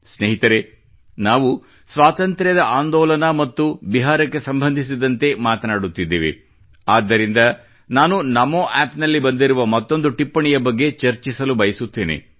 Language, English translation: Kannada, as we refer to the Freedom Movement and Bihar, I would like to touch upon another comment made on Namo App